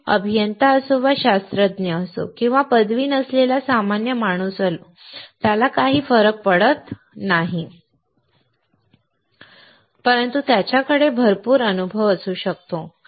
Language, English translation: Marathi, It does not matter whether he is an engineer or a scientist or a common man who has no degrees, but he may have lot of experience